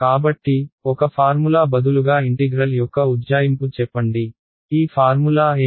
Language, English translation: Telugu, So, instead a formula tells me an approximation of the integral, what is this formula